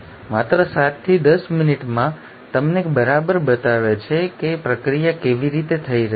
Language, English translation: Gujarati, In just 7 to 10 minutes, they exactly show you how the process is happening